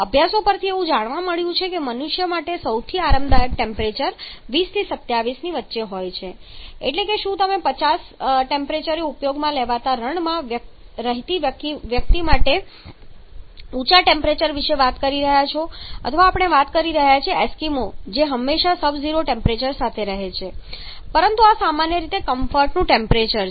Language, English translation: Gujarati, It has been identified from studies that the most comfort temperature for human being ranges between 20 to 27 degree Celsius that is whether you are talking about an extremely for a person who is residing in a desert used to 50 degree Celsius temperature of the air talking about an eskimo who is always a custom with sub zero temperature, but this is generally the comfort temperature